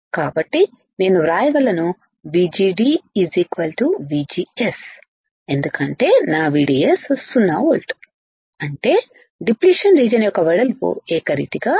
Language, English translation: Telugu, So, I can write VGD should be equals to VGS because my VDS is 0 volt right; that means, width of depletion region will be uniform correct